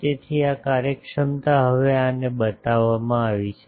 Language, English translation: Gujarati, So, this efficiency is now shown to these